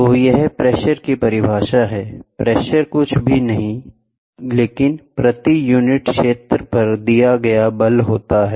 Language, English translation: Hindi, So, this is the definition for pressure, pressure is nothing but force acted per unit area